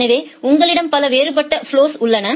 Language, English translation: Tamil, So, you have multiple different flows